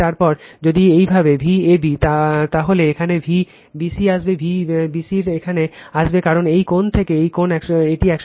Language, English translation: Bengali, Then if it is V a b like this, then V b c will come here V b c will come here because this angle to this angle, it is 120 degree